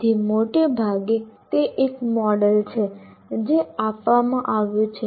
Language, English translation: Gujarati, So broadly, that is a model that has been given